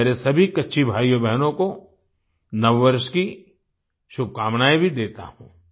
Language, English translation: Hindi, I also wish Happy New Year to all my Kutchi brothers and sisters